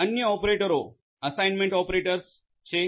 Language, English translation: Gujarati, There are other operators, assignment operators